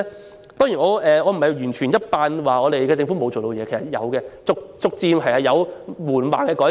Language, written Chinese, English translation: Cantonese, 我當然不是要完全否定政府的努力，在這方面也確實逐漸有緩慢的改善。, It is of course not my intention to completely deny the efforts made by the Government and we do see some gradual and slow improvements in this respect